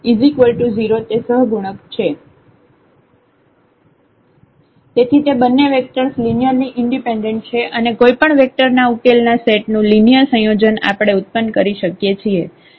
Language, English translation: Gujarati, So, these two vectors are linearly independent and their linear combination we can generate any vector of the solution set